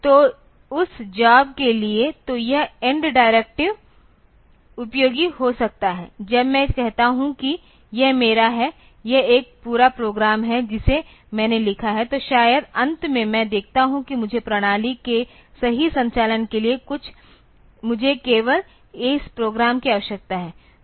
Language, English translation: Hindi, So, for that job; so, this end directive can be useful like when I am say this is my is this is a complete program that I have written then maybe finally, I see that I need to the I need only this much of program for the correct operation of the system